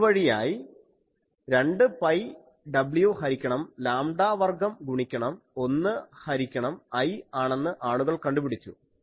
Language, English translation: Malayalam, So, by that people have found 2 pi w by lambda square into 1 by I, where I is a thing defined by some integration things